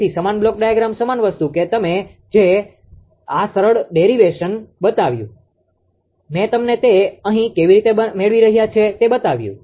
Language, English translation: Gujarati, So, same block diagram same thing that I showed you this simple derivation I showed you here right how we are getting it